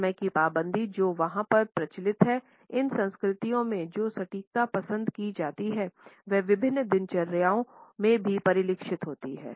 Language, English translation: Hindi, The punctuality which is practiced over there and the precision which is preferred in these cultures is reflected in various routines also